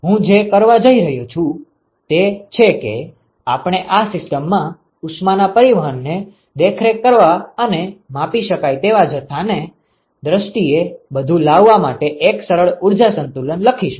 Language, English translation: Gujarati, So, now, what I am going to do is, we are going to write a simple energy balance in order to monitor the heat transport in this system and bring everything in terms of the measurable quantity